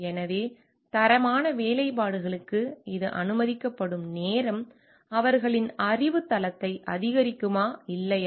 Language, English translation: Tamil, So, it is a time allowed for quality workmanship means, increasing their knowledge base or not